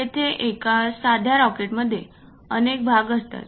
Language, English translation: Marathi, Here a simple rocket consists of many parts